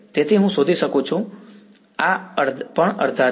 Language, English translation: Gujarati, So, I can find out, so this is also half